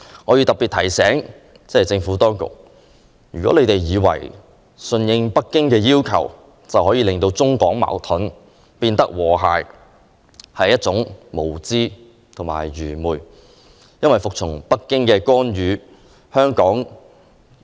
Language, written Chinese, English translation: Cantonese, 我要特別提醒政府，不要以為順應北京要求便可令中港關係由矛盾變成和諧，這是愚昧無知的想法。, I have to particularly remind the Government not to think that being submissive to Beijing can make Mainland - Hong Kong relations turn from hostility to harmony; it is an ignorant belief